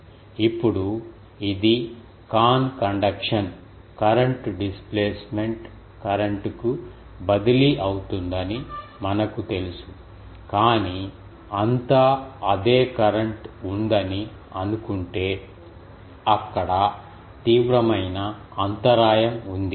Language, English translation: Telugu, Now, we know that it goes to con ah conduction current gets transferred to displacement current, but if throughout we assume there is same current, then there is a severe discontinuity there